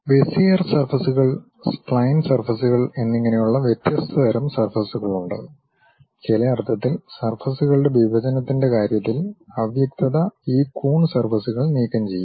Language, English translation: Malayalam, There are different kind of surfaces like Bezier surfaces, spline surfaces and in some sense the ambiguity in terms of intersection of surfaces will be removed by this Coon surfaces